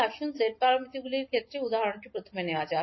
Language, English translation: Bengali, Let us take first the example in case of h parameters